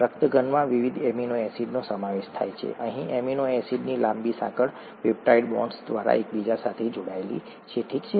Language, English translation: Gujarati, The haemoglobin consists of various different amino acids here a long chain of amino acids all connected together by peptide bonds, okay